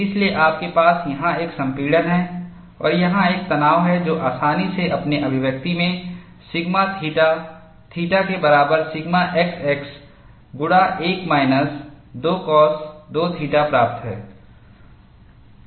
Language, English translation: Hindi, So, you have a compression here, and you have a tension here, which is easily obtainable from your expression of sigma theta theta equal to sigma x x into 1 minus 2 cos 2 theta